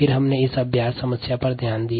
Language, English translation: Hindi, then we looked at this ah practice problem